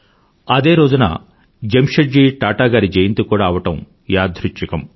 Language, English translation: Telugu, Coincidentally, the 3rd of March is also the birth anniversary of Jamsetji Tata